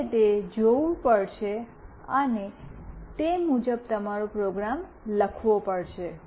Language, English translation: Gujarati, You have to see that and write your program accordingly